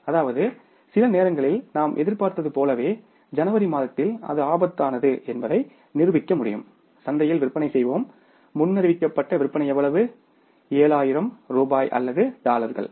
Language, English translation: Tamil, That we are anticipating that in the month of January we will sell in the market our sales forecasted sales will be how much, 700,000 rupees or dollars